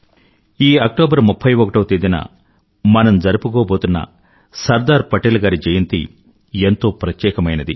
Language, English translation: Telugu, The 31st of October is the birth anniversary of our beloved Sardar Vallabhbhai Patel